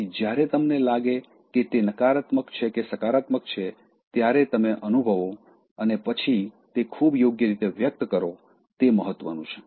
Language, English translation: Gujarati, So, when you feel whether it is negative or positive it is important you feel and then express that in a very appropriate manner